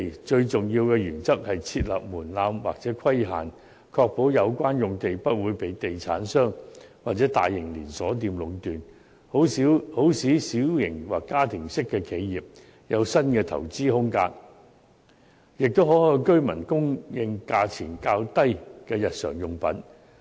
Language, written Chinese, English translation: Cantonese, 最重要的原則是設立門檻或規限，確保有關用地不會被地產商或大型連鎖店壟斷，好使小型或家庭式的企業有新的投資空間，亦可向居民供應價錢較低的日常用品。, The most important principle is to impose thresholds or restrictions to ensure that the relevant sites will not be monopolized by real estate developers or large chain stores so that small or family businesses will find new room for investment and can supply daily necessities to residents at lower prices